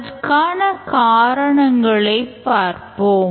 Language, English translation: Tamil, Let's understand why that's the reason